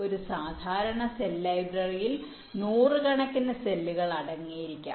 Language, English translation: Malayalam, a typical cell library can contain a few hundred cells